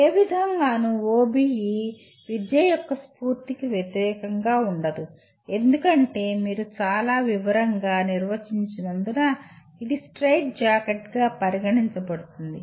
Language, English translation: Telugu, In no way OBE kind of goes against the spirit of education and some people because you are defining so much in detail it is considered as a straight jacket